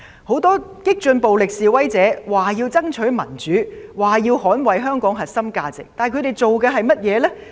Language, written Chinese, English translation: Cantonese, 很多激進暴力示威者說要爭取民主、捍衞香港核心價值，但他們所做的是甚麼呢？, Many radical violent protesters said that they must fight for democracy and defend the core values of Hong Kong but what have they done?